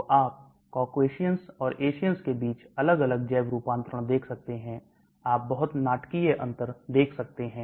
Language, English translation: Hindi, So you may see different bio transformations between Caucasians and Asians you may see very dramatic differences